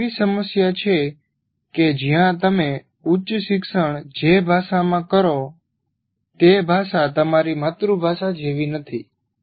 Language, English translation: Gujarati, This is a problem where the language in which you do your higher education is not the same as your